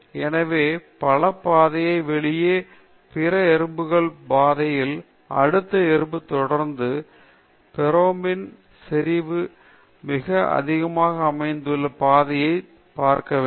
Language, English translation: Tamil, So, out of the multiple paths, the paths of the other ants, the next ant which will follow, will look at the paths where the pheromone concentration is very high